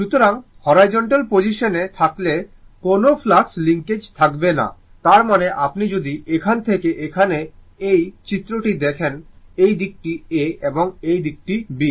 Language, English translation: Bengali, So, there will be no flux linkage when it is at the horizontal position; that means, if you look into this diagram from here to here, this side is A and this side is B, right